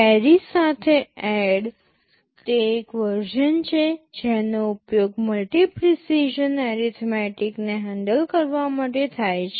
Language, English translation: Gujarati, There is a version add with carry that is normally used to handle multi precision arithmetic